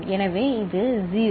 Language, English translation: Tamil, So, it is 0